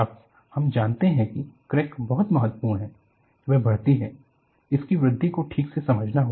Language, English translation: Hindi, Now, we know a crack is very important, it grows; its growth has to be understood properly